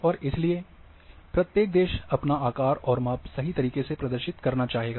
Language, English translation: Hindi, And therefore, each country would like to have it is true shape and size